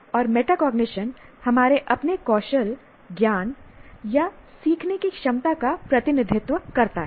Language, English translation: Hindi, And metacognition represents our ability to assess our own skills, knowledge or learning